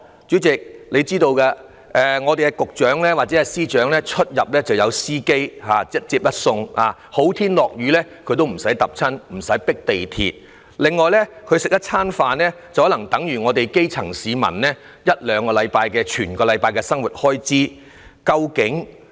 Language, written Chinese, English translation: Cantonese, 主席，你也知道局長和司長出入有司機接送，不需要日曬雨淋，不需要跟市民一起迫地鐵，他們吃一頓飯的價錢更可能等於基層市民一兩個星期的生活開支。, Chairman you know the Secretaries are served by chauffeurs in their daily commuting . They are thus protected from both the sun and the downpour and are saved from the need to ride the crowded MTR trains which are jam - packed with people . The money they spend on one single meal may be enough to cover one or two - week living expenses of the grass roots